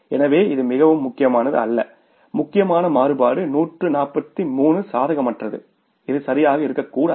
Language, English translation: Tamil, The important variance is this which is 143 unfavorable which should not have been there